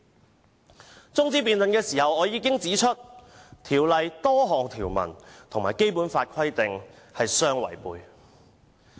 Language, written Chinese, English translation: Cantonese, 在中止待續議案的辯論中我已指出，《條例草案》多項條文與《基本法》的規定相違背。, During the debate on the adjournment motion I already pointed out that numerous provisions in the Bill violate the provisions of the Basic Law